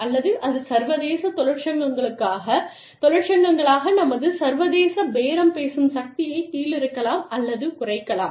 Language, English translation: Tamil, Or, that can pull back our, or cut down, on our international bargaining power, as international unions